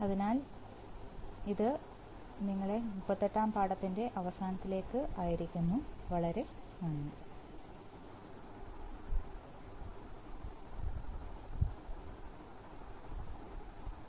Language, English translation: Malayalam, So, that brings us to the end of the lesson 28, thank you very much